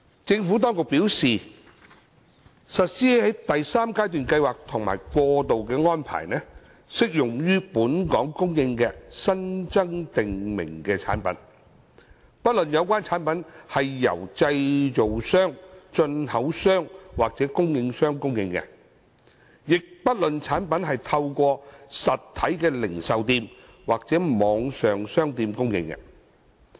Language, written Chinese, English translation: Cantonese, 政府當局表示，實施第三階段計劃及過渡安排，適用於在本港供應的新增訂明產品，不論有關產品是由製造商、進口商或供應商供應，亦不論產品是透過實體零售店或網上商店供應。, According to the Administration the third phase of MEELS and the transitional arrangements will apply to the supply of new prescribed products in Hong Kong irrespective of whether the supply is made by a manufacturer importer or supplier and regardless of whether the products are supplied through physical retail outlets or online shops